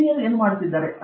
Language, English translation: Kannada, What are the Chinese working on